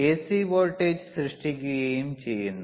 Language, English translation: Malayalam, C voltage gets generated